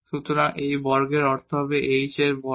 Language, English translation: Bengali, So, exactly we have this is like h here